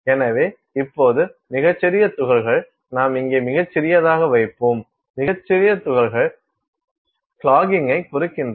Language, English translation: Tamil, So now, very small particles; so, we will just put here very small; very small particles implies clogging